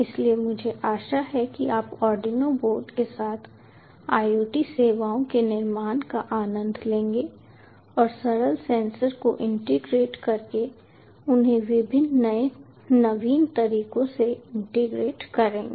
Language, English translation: Hindi, so i hope you enjoy building ah iot services, which arduino boards just integrate simple senses and integrate them in various innovative ways